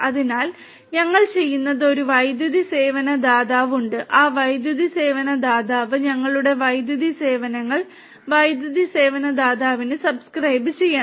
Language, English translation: Malayalam, So, what we are doing is that there is an electricity service provider and that electricity service provider, we have to subscribe our electricity services to the electricity service provider